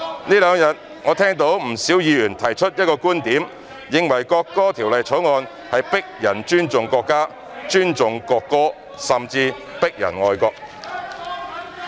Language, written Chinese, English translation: Cantonese, 這兩天，我聽到不少議員提出一個觀點，認為《條例草案》是強迫人尊重國家、尊重國歌，甚至強迫人愛國。, In these two days I have heard quite a number of Members put forward the viewpoint that the Bill seeks to force people to respect the country respect the national anthem and even force people to be patriotic